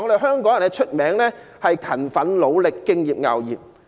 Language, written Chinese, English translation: Cantonese, 香港人出名勤奮、努力、敬業樂業。, The people of Hong Kong are famous for our diligence industry and dedication to work